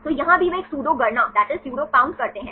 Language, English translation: Hindi, So, here also they make a pseudo count